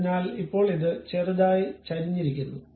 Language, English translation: Malayalam, So, now, it is slightly tilted